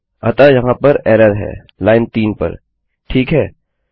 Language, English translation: Hindi, So thats where the error is on line 3, okay